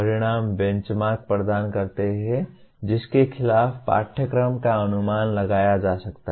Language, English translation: Hindi, Outcomes provide benchmarks against which the curriculum can be judged